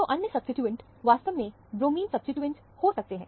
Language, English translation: Hindi, So, the other substituent, actually, might be the bromine substituent